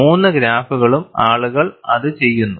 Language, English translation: Malayalam, All the three graphs, people do it